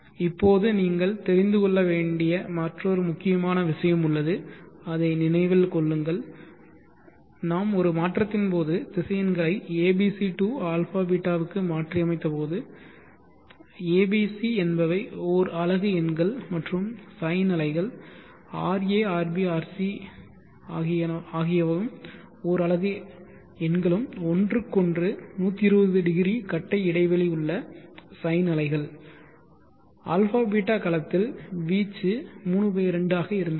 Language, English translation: Tamil, Now there is another important point that you have to know remember that while we converted while we transformed the vectors from the abc to abeeta and when the a, b, c amplitudes are let us say unit amplitudes that is the sine waves the 3 120degree sine waves area ,b or c having unit amplitude then the amplitude that resulted was 3/2 in the abeeta domain